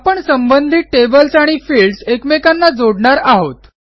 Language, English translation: Marathi, We will connect the related tables and fields